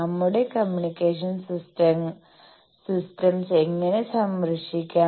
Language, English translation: Malayalam, How to shield our communication systems